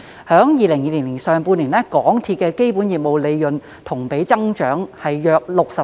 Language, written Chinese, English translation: Cantonese, 在2020年上半年，港鐵公司的基本業務利潤同比增長約 64%。, In the first half of 2020 MTRCLs underlying business profit recorded a year - on - year increase of about 64 %